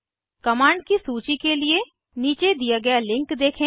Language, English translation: Hindi, Refer the following link for list of commands